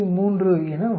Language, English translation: Tamil, 5 that comes to 3